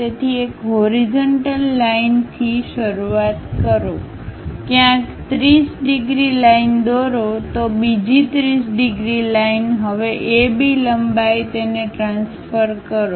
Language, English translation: Gujarati, So, begin with a horizontal line, somewhere draw a 30 degrees line another 30 degrees line, now A B length transfer it